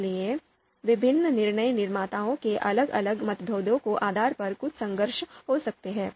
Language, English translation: Hindi, So there might be some conflict depending on the varying differences of different decision makers